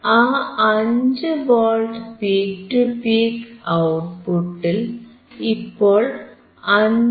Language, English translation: Malayalam, And at the output we can see, 5V peak to peak , now it is 5